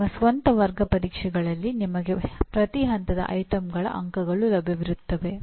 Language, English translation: Kannada, Your own class tests you will have item wise marks available to you